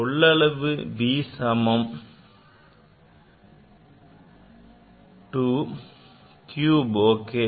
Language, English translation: Tamil, So, v is a cube